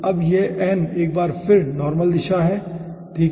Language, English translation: Hindi, now this n is once again the normal direction